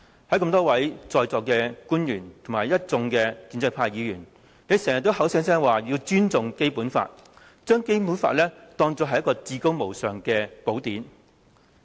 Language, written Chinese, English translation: Cantonese, 在座多位官員和一眾建制派議員經常口口聲聲說要尊重《基本法》，將《基本法》視為至高無上的寶典。, The many government officials and pro - establishment Members present in this Chamber keep avowing their respect for the Basic Law embracing it as a bible of supreme status